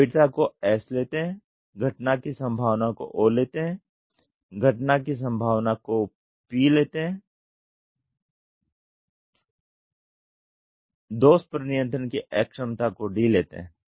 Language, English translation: Hindi, Severity is S, likelihood of occurrence is O, probability of occurrence is P, inability of control to the defect is D